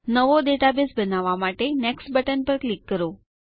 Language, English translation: Gujarati, Click on the Next button to create a new database